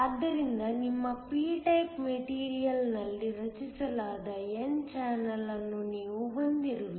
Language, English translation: Kannada, So, that you have an n channel that is created within your p type material